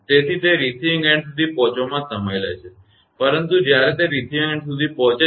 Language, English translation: Gujarati, So, it takes time to reach to the receiving end, but as soon as when it will reach to the receiving end say